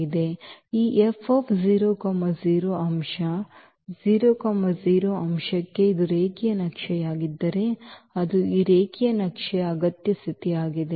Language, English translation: Kannada, So, this F must map the 0 0 element to the 0 0 element if it is a linear map that is a necessary condition of this linear map